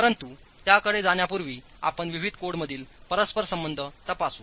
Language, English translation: Marathi, But before we go to that, we will examine the interconnection between the different codes